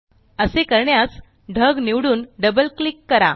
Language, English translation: Marathi, To do so, select the cloud and double click